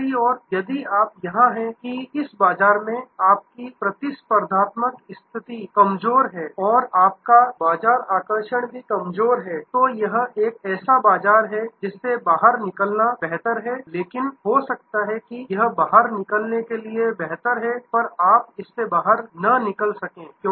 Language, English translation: Hindi, On the other hand, if you are here that your competitive position is rather week and your market attractiveness is also weak this is a market, which is better to get out of, but may be you cannot get out of it